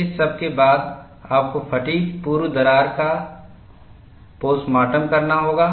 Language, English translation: Hindi, After all this, you have to do postmortem of fatigue pre crack